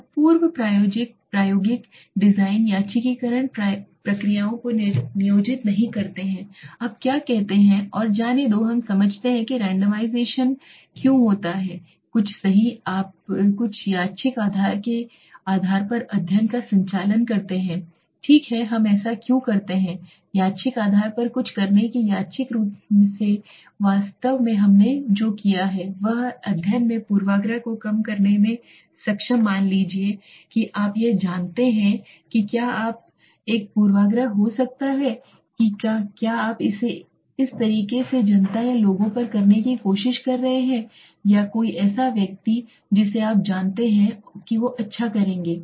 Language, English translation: Hindi, So pre experimental designs do not employ randomization procedures now what is let say and let us understand why what is randomization randomization is something where you randomly do something right you conduct a study on the basis of the some random basis right why do we do it random basis by doing something on a random basis actually what we have done is we have been able to reduce the bias in the study suppose you do it on a judgmental basis you know what you doing then there could be a bias right you are trying to do it on a kind of public or people or somebody whom you know they would do well